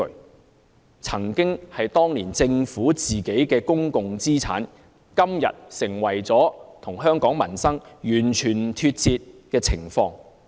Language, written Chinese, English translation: Cantonese, 那些曾經是政府當年的公共資產，今天卻與香港民生完全脫節。, These former public assets held by the Government in those years have become irrelevant to peoples livelihood